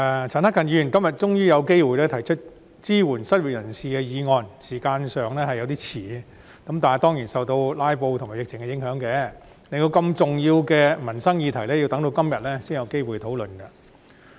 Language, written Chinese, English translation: Cantonese, 陳克勤議員今天終於有機會提出支援失業人士的議案，時間上已經有點遲，但這當然是受到"拉布"和疫情的影響，令我們要到今天才有機會討論如此重要的民生議題。, Mr CHAN Hak - kan finally has the opportunity to propose this motion on supporting the unemployed today . It is a bit late in terms of timing but it is of course due to the impact of filibusters and the epidemic that we do not have the opportunity to discuss this livelihood issue of such importance until today